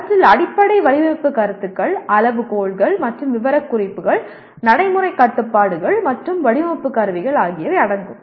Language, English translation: Tamil, They include Fundamental Design Concepts, Criteria and Specifications, Practical Constraints, and Design Instrumentalities